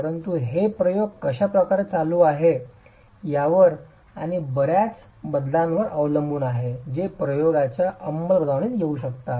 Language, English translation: Marathi, So, it depends a lot on the way the experiment is being carried out and variability that can come in executing the experiment also